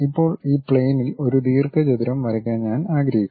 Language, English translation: Malayalam, Now, I would like to draw a rectangle on this plane